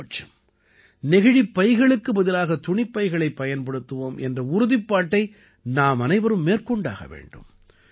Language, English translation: Tamil, At least we all should take a pledge to replace plastic bags with cloth bags